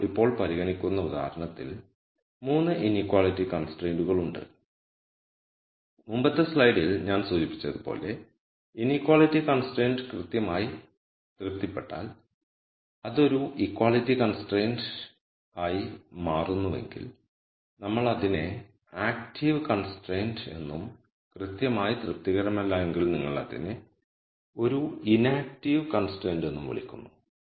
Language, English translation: Malayalam, So, in the example that we are considering right now, there are 3 inequality constraints and as I mentioned in the previous slide if the inequality constraint is exactly satis ed that does it becomes an equality constraint then we call that an active constraint and if the constraint is not exactly satisfied we call it as an inactive constraint